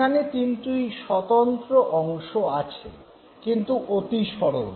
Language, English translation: Bengali, You have three distinct components but they are too simple